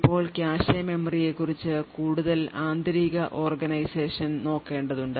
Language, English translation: Malayalam, Now, we would have to look at some more internal organization about the cache memory